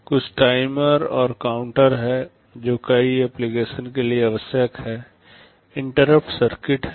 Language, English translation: Hindi, There are some timers and counters that are required for many applications, there are interrupt circuits